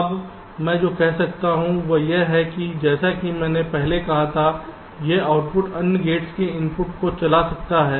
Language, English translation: Hindi, now what i am saying is that this output, as i said earlier, may be driving the inputs of other gates